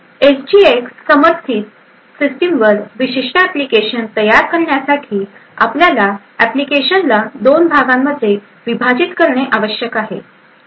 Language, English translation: Marathi, So a typical application development on a system which has SGX supported would require that you actually split the application into two parts